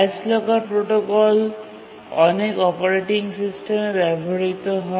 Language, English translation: Bengali, The highest locker protocol is used in many operating systems